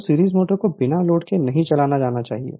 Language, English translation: Hindi, Therefore, a series motor should always be started on load